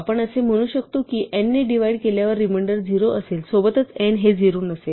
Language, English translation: Marathi, So, we might want to say that check if the reminder when divided by n is 0 provided n is 0 not 0